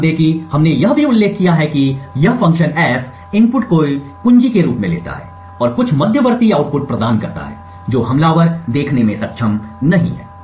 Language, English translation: Hindi, So, note that we also mentioned that this function F takes as input the key and provides some intermediate output which the attacker is not able to see